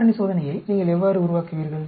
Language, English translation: Tamil, How do you generate the factor experiment